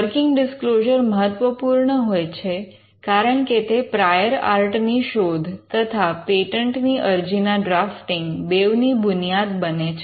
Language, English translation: Gujarati, The working disclosure is important, because the working disclosure is what forms the foundation of both a prior art search as well as the foundation for drafting a patent application